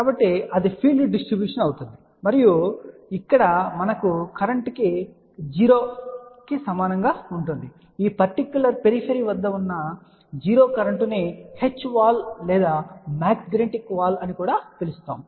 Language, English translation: Telugu, So, that will be the field distribution and over here we can say current will be equal to 0 a 0 current at this particular periphery can be also termed as H wall or magnetic wall